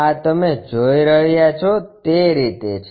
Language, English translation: Gujarati, This is the way you see